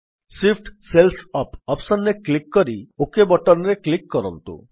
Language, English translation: Odia, Now click on the Shift cells up option and then click on the OK button